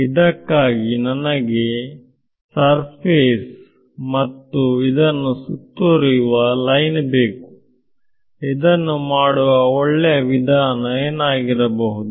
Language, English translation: Kannada, So, for that I need a surface and a line enclosing it, so what might be good way to do this